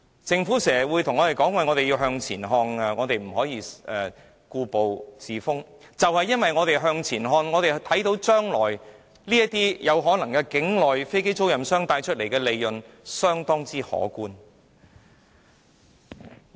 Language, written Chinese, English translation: Cantonese, 政府經常叫我們向前看，不要故步自封，但就是由於我們向前看，便看到將來境內飛機租賃商可能賺取相當可觀的利潤。, The Government often asks us to look forward and urges us not to reject new ideas . But we are precisely being forward - looking that we foresee onshore aircraft lessors may make handsome profits out of this arrangement